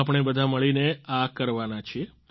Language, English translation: Gujarati, We're going to do it together